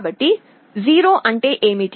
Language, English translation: Telugu, So, what is 0